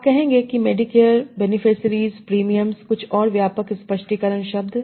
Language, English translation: Hindi, So, you will say Medicare, beneficiaries, premiums are some broad expansion terms